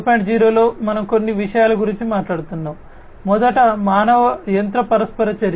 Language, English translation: Telugu, 0 we are talking about few things, first of all human machine interaction